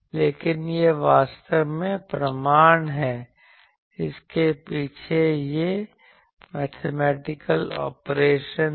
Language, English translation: Hindi, But this is the proof actually, this mathematical operation is behind this